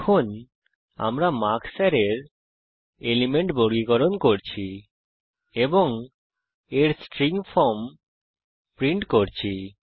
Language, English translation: Bengali, Now we are sorting the element of the array marks and then printing the string form of it